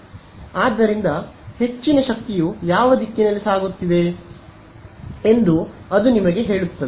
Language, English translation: Kannada, So, it is telling you that power most of the power is going along which direction